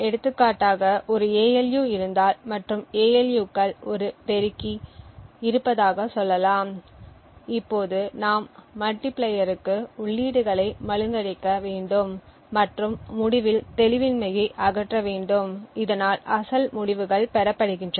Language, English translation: Tamil, For example, if there is an ALU and within the ALU there is let us say a multiplier now we would require to obfuscate the inputs to the multiplier and remove the obfuscation at the, after the end so that the original results are obtained